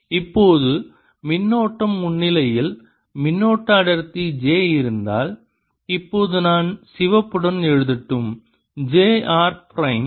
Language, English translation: Tamil, now, in presence of currents, if there is a current density, j, now let me write with red j r prime